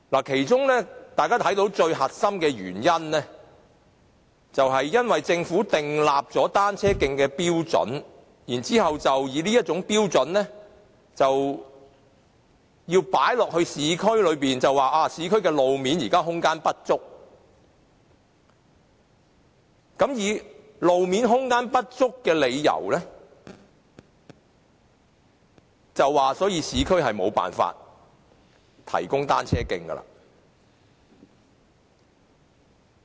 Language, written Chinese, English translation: Cantonese, 其中大家看到最核心的原因，是政府就單車徑制訂了標準，然後把這標準放諸於市區，指現時市區路面空間不足，並以此為理由，表示無法在市區提供單車徑。, As we can see the core reason is that the Government has formulated standards for cycle tracks and then applied these standards to the urban areas saying that the existing road space in the urban areas is not sufficient and for this reason it is unable to provide cycle tracks in the urban areas